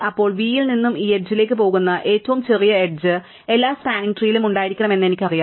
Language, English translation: Malayalam, Then, I know that the smallest edge which goes from v to this edge must be in every spanning tree